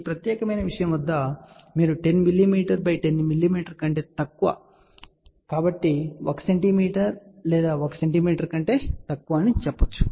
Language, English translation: Telugu, You can see that at this particular thing the entire size is you can say less than 10 mm by 10 mm, so 1 centimeter by 1 centimeter